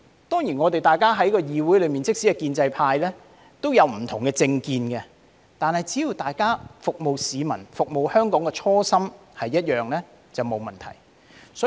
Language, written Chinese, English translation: Cantonese, 當然，在議會裏，即使是建制派也有不同的政見，但只要大家服務市民、服務香港的初心是一樣便沒有問題。, Of course in this Council even the pro - establishment Members have different views on political issues but it is fine so long as we have the same intention to serve the people and to serve Hong Kong